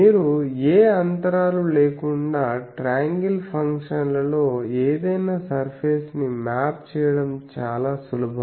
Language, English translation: Telugu, Also it is very easy to map any surface with triangle functions you do not put any gaps etc, ok